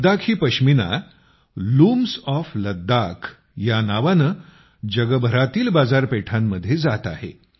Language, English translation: Marathi, Ladakhi Pashmina is reaching the markets around the world under the name of 'Looms of Ladakh'